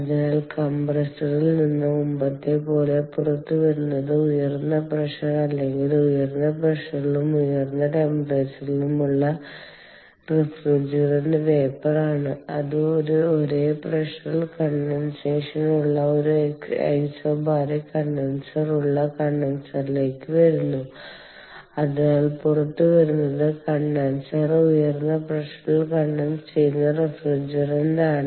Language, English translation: Malayalam, so what comes out of the compressor, as before, is high pressure or or refrigerant vapour at high pressure and high temperature, which comes to the condenser, where there is an isobaric condenser, that is, condensation at the same pressure